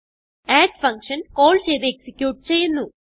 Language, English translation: Malayalam, The add function is called and then executed